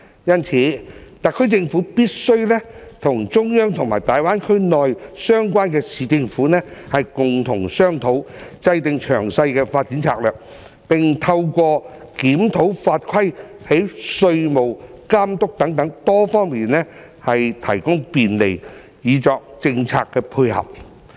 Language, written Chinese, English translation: Cantonese, 因此，特區政府必須與中央和大灣區內相關的市政府共同商討，制訂詳細的發展策略，並透過檢討法規，從稅務、監管等多方面提供便利，以作政策配合。, Therefore the SAR Government must discuss with the Central Government and the relevant municipal governments in the Greater Bay Area to formulate detailed development strategies and by reviewing the laws and regulations provide facilitation in such areas as taxation and regulation to support the policies